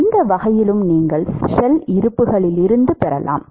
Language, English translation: Tamil, In any way you can get from shell balances